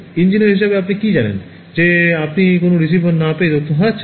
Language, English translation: Bengali, As an engineer of what you know that you are losing information by not having receivers everywhere